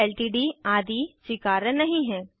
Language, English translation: Hindi, Ltd etc are not allowed